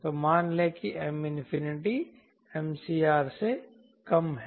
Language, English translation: Hindi, so say m infinity is less than m critical